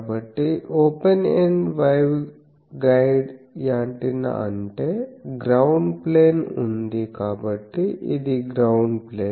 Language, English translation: Telugu, So, the open ended waveguide antenna means I have that on a ground plane so, this is the ground plane